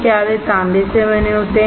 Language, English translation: Hindi, Are they made up of copper